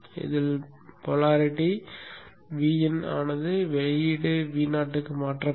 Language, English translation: Tamil, The pole voltage is same as V in which is transferred to the output V 0